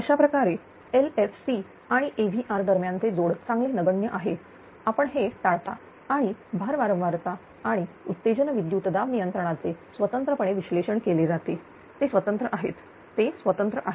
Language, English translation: Marathi, There is the coupling between the LFC loop and the AVR loop is negligible better, you avoid this and the load frequency and excitation voltage control are analyzed independently they are separate right they are separate